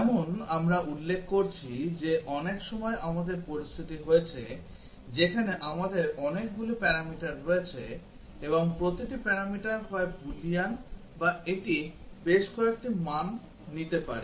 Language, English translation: Bengali, As we are mentioning that many times we have situation, where we have many parameters and each parameter is either a Boolean or it can take several values